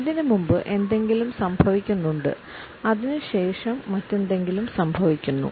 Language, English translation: Malayalam, There has been something happening before that point and there would of course, something else would take place after that